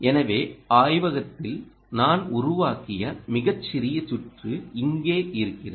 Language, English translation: Tamil, ok, so here is ah, a very small circuit i built in the lab